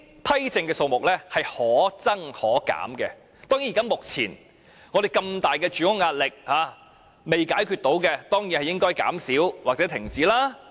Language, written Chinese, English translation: Cantonese, 批證的數目可增可減，目前巨大的住屋壓力仍未能解決，當然應該減少或停止。, The number of OWP can be adjusted upward or downward . In view of the huge pressure on housing that has yet to be resolved the OWP quota should of course be reduced or suspended